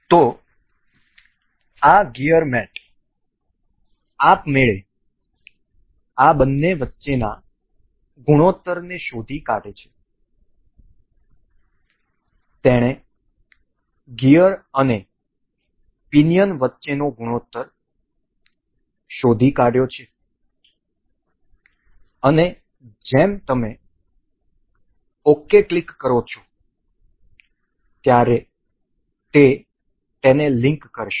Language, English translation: Gujarati, So, this gear mate automatically detects the ratio between these two, it has detected the ratio between the gear and the pinion and as you click ok it will link it up